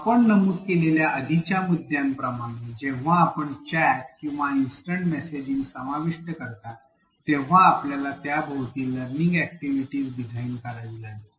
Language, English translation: Marathi, Similar to the previous point we made, when you include chats or instant messaging what we need to do is design a learning activity around it